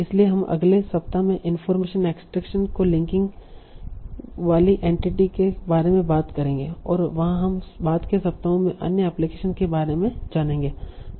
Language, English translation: Hindi, So we'll talk about entry link information extraction in the next week and then we'll go about other applications in the subsequent weeks